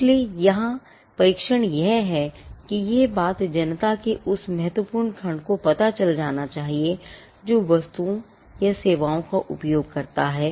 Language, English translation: Hindi, So, the test here is that it should be known to the substantial segment of the public which uses the goods or services